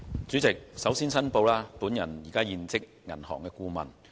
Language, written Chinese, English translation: Cantonese, 主席，首先我要作出申報，我現職銀行顧問。, President first of all I have to declare that I am currently a bank adviser